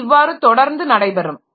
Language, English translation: Tamil, So, that way it can continue